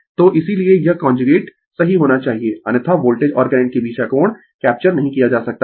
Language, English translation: Hindi, So, that is why this conjugate is must right otherwise you cannot capture the angle between the voltage and current